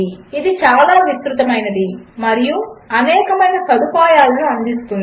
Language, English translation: Telugu, It is very extensive, offering a wide range of facilities